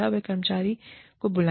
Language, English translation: Hindi, You call the employee